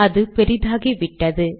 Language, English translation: Tamil, It has become bigger